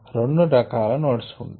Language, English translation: Telugu, there are two kinds of nodes that are possible